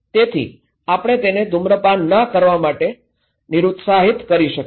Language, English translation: Gujarati, So, maybe we can discourage her not to smoke